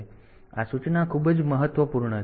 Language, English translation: Gujarati, So, this instruction is very, very important